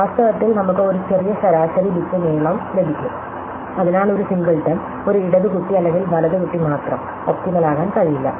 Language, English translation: Malayalam, So, in fact, we will possibly get a shorter average bit length then we had, therefore by having a Singleton, either only a left child or right child, we cannot be optimal